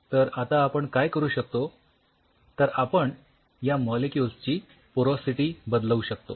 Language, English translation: Marathi, Now what you can do is you can change the porosity of these molecules